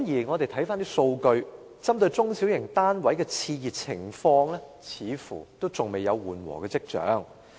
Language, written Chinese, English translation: Cantonese, 我們翻查數據，針對中小型單位的熾熱情況，似乎仍然未有緩和跡象。, We have looked up the relevant data and found that there are no signs that the overheated market for small and medium flats have been cooled down